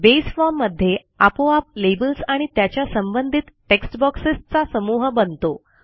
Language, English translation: Marathi, Base automatically has grouped the labels and corresponding textboxes in the form